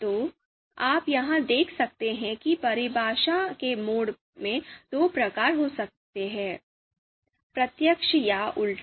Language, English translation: Hindi, So you can see here a mode of definition there could be of two types direct or inverse